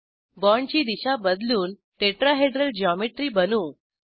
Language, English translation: Marathi, Orient the bonds to form a Tetrahedral geometry